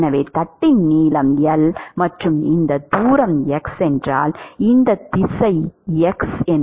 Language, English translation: Tamil, So, if the length of the plate is L and if this distance is x this direction x might be h times dx